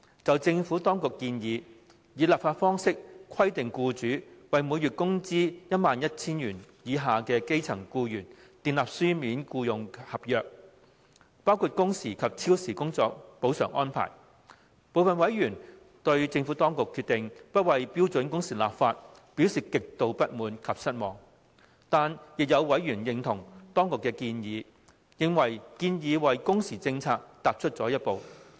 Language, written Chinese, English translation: Cantonese, 就政府當局提出以立法方式規定僱主為每月工資 11,000 元以下的基層僱員訂立書面僱傭合約的建議，部分委員對政府當局不就標準工時立法的決定，表示極度不滿及失望。但是，亦有委員認同當局的建議，認為建議為工時政策踏出了一步。, Regarding the Administrations proposal that a legislative approach be adopted to mandate employers to enter into written employment contracts with employees earning a monthly wage of below 11,000 which shall include the specified working hours terms and the arrangements for overtime compensation some members were gravely dissatisfied with and disappointed by the Administrations decision of not legislating for standard working hours while there were members who acknowledged the Governments proposal considering it a step forward in respect of the working hours policy